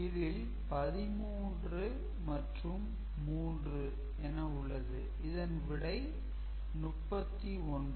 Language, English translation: Tamil, So, basically this is 13 with 3 it is 39 right